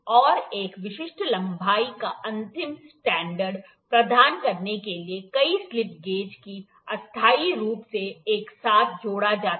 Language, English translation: Hindi, And several slip gauges are combined together temporarily to provide an end standard of a specific length